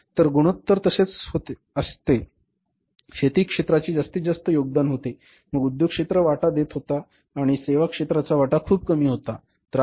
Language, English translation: Marathi, So, the ratio was like the agriculture was contributing maximum than industry was contributing and services sector share was very, very low